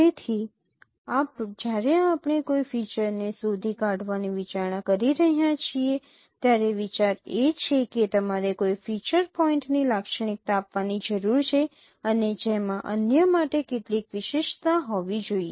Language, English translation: Gujarati, So when we are considering detecting a feature, the idea is that you need to characterize a feature point and which should have some uniqueness with respect to others